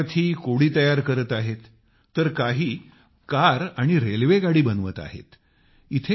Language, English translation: Marathi, Some students are making a puzzle while another make a car orconstruct a train